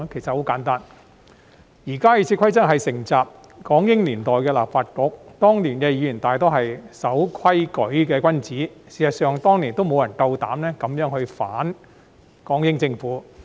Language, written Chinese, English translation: Cantonese, 很簡單，現時的《議事規則》是承襲港英年代的立法局，當年的議員大多數是守規矩的君子，事實上當年亦沒有人膽敢這樣地反港英政府。, The reason is simple . The existing RoP is inherited from the Legislative Council in the British - Hong Kong era when most of the Members were gentlemen who abided by the rules and in fact back in those years nobody would dare to oppose the British - Hong Kong Government in such a way